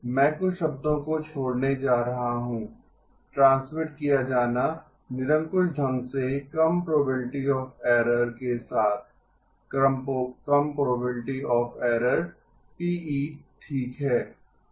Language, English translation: Hindi, I am going to skip some of the words, transmitted with arbitrarily low probability of error, low probability of error PE okay